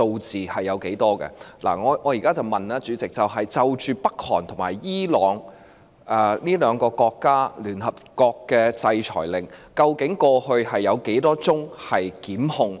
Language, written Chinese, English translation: Cantonese, 主席，我現在問的是，就朝鮮及伊朗這兩個國家的聯合國制裁令，過去究竟有多少宗檢控？, President here is my question . How many prosecutions have been instituted in relation to UNSC sanctions against DPRK and Iran?